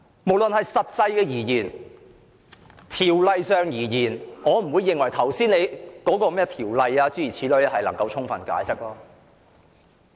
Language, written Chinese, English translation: Cantonese, 無論是就實際情況或《條例草案》而言，我並不認為你能夠根據你剛才所說的條文提供充分解釋。, As far as the actual situation or the Bill is concerned I do not think that you can give an adequate explanation based on the provision mentioned by you just now